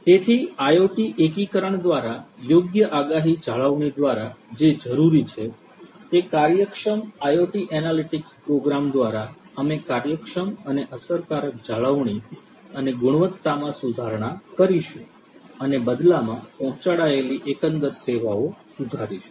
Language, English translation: Gujarati, So, what is required is through appropriate predictive maintenance through IoT integration, we are going to have efficient and effective maintenance and improvement of quality by efficient IoT analytics programs and in turn improving the overall services that are delivered